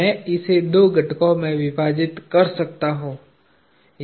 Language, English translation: Hindi, I can split this into two components